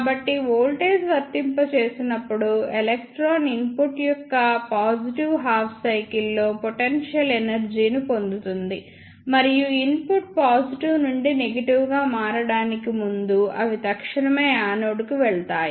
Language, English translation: Telugu, So, as the voltage applied then electron will get potential energy in the positive half cycle of the input, and they will move to the anode instantaneously before the input changes from positive to negative